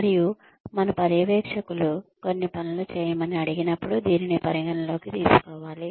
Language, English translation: Telugu, And, it should be taken into account, when our supervisors ask us to do certain things